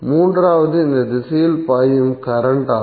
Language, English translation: Tamil, Third is the current which is flowing in this direction